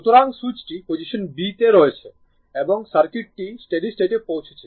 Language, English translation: Bengali, So, because switch is in position b and the circuit reached the steady state